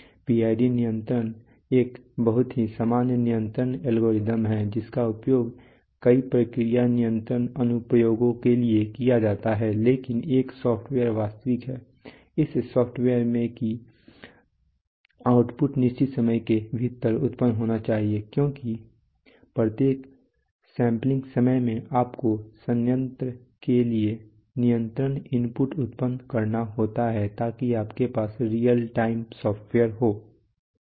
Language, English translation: Hindi, PID control is a very generic the control algorithm which is used for a number of process control applications but this software is real time, in the sense that outputs must be generated within a given amount of time because every sampling time you have to generate the control inputs to the plant, so you have real time software